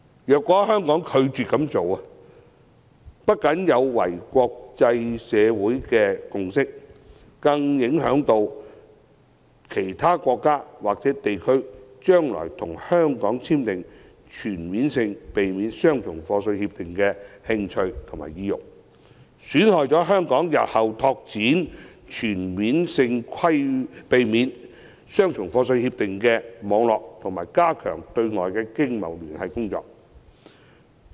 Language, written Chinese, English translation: Cantonese, 如果香港拒絕這樣做，不僅有違國際社會的共識，更會削弱其他國家或地區將來與香港簽訂全面性協定的興趣和意欲，損害香港日後拓展全面性協定網絡和加強對外經貿聯繫的工作。, A refusal from Hong Kong to do so will run counter to the consensus of the international community and dampen the interest and incentives of other countries or regions in entering into CDTAs with Hong Kong to the detriment of Hong Kongs future efforts in expanding its CDTA network and strengthening its commercial ties with the outside world